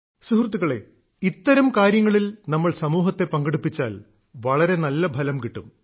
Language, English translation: Malayalam, Friends, in Endeavour's of thesekinds, if we involve the society,great results accrue